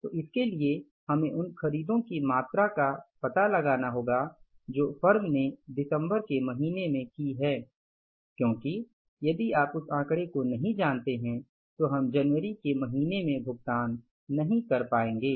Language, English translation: Hindi, So for that we have to find out the amount of purchases which the firm has done in the month of December because if we don't know that figure we won't be able to make the payment in the month of January